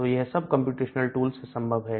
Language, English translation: Hindi, So, all these are possible using comparational tools